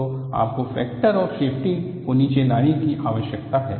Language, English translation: Hindi, So, you need to definitely bring out factor of safety down